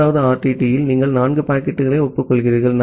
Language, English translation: Tamil, In the 3rd RTT, you are acknowledging 4 packets